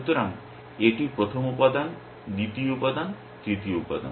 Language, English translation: Bengali, So, this is the first element, second element, third element